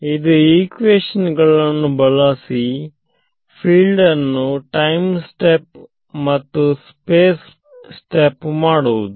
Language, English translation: Kannada, It is using these update equations to time step the fields and space step the fields